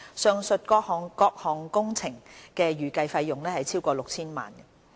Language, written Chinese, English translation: Cantonese, 上述各項工程的預計費用超過 6,000 萬元。, The estimated cost of all these works exceeds 60 million